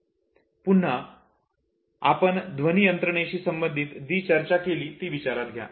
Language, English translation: Marathi, Now, recollect what we had discussed about the auditory mechanism